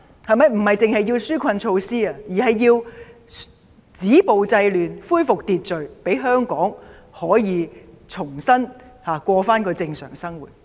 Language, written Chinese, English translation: Cantonese, 他們不單需要紓困措施，還要政府止暴制亂，恢復秩序，讓香港市民可以重新過正常生活。, He needs not only relief measures but also the Government stopping the violence and curbing the disorder to restore law and order so that Hong Kong citizens can resume their normal life